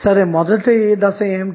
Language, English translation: Telugu, So, what is the first step